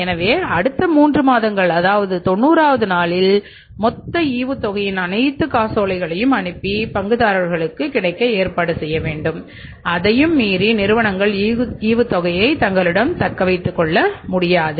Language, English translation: Tamil, So, miss on the 90th day total all the checks of the dividend must be sent, must be reaching to the shareholders and they cannot retain it beyond that but they can pay it within a period of three months